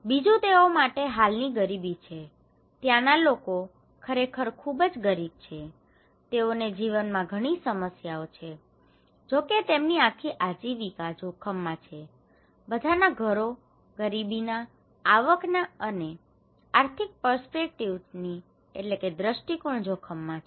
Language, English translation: Gujarati, Another one is the existing poverty; people are really poor, they have so many problems in life, their entire livelihood is at risk, all households they are at risk from the poverty perspective, income perspective, economic perspective